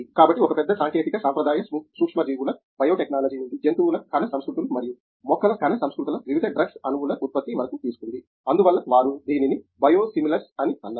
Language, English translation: Telugu, So, a big technology has taken over from traditional microbial biotechnology to animal cell cultures and plant cell cultures for production of various drug molecules, so called as the reason term they give it is Biosimilars